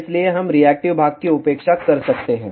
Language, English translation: Hindi, So, we can neglect the reactive part